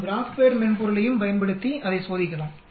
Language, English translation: Tamil, We can use the GraphPad software also and check it out